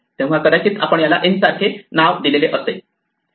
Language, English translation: Marathi, So, we have might assign this to a name like n right